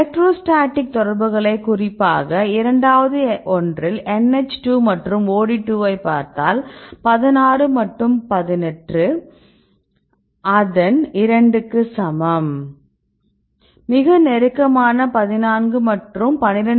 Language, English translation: Tamil, So, we are having this electrostatic interactions right especially if you see the second one the NH2 and the OD2, 16 and 18 is equal to 2 its very close 14 and 12